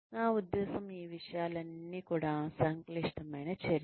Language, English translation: Telugu, I mean, all of these things are, it is a complex activity